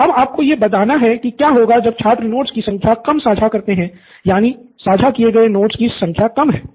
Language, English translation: Hindi, So, now you have to tell me what happens when the student shares, I mean number of notes shared are low, number of notes shared is low